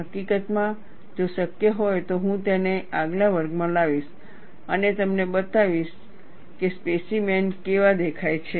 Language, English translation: Gujarati, In fact, if possible I will bring it in the next class and show you how the specimens look like